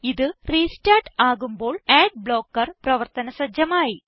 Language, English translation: Malayalam, When it restarts, the ad blocker will take effect